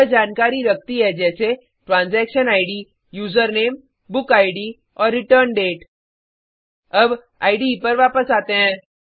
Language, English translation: Hindi, It has details like Transaction Id, User Name, Book Id and Return Date